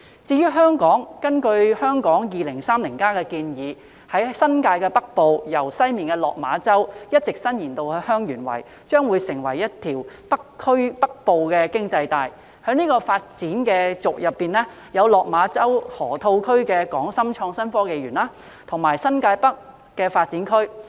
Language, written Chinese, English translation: Cantonese, 至於香港，根據《香港 2030+： 跨越2030年的規劃遠景與策略》建議，在新界北部，由西面的落馬洲一直伸延至香園圍，將成為一條"北部經濟帶"，在這發展軸上，有落馬洲河套區的港深創新及科技園，以及新界北新發展區。, As regards Hong Kong the Hong Kong 2030 Towards a Planning Vision and Strategy Transcending 2030 has recommended to develop a Northern Economic Belt in the northern New Territories extending from Lok Ma Chau in the west to Heung Yuen Wai . The Hong Kong - Shenzhen Innovation and Technology Park in the Lok Ma Chau Loop and the New Development Area in New Territories North fall on this development axis